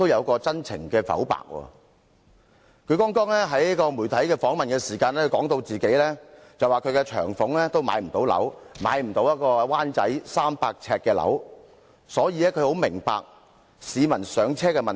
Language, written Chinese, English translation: Cantonese, 她曾在接受媒體訪問時表示，她的長俸不足以在灣仔購買一個300平方呎的單位，所以她很明白市民的"上車"問題。, She said that her pension was not enough for her to buy a 300 sq ft flat in Wan Chai hence she fully understood peoples difficulties in home acquisition